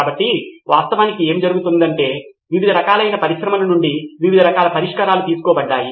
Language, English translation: Telugu, So, what actually happened was various parts of solutions were derived from different types of industries